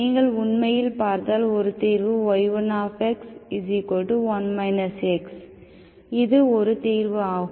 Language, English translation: Tamil, If you actually see, one solution is 1 minus x, this is one solution